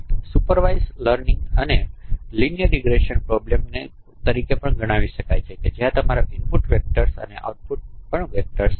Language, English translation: Gujarati, So supervised learning could be considered could be also considered as a linear regression problem where your input is a vector and output is also a vector